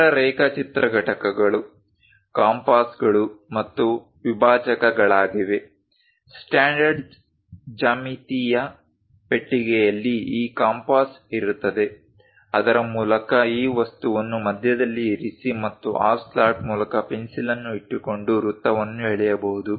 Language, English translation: Kannada, The other drawing components are compasses and dividers; the standard geometrical box consist of this compass through which one can draw circle by keeping this object at the middle and keeping a pencil through that slot, one can draw a perfect circle or an arc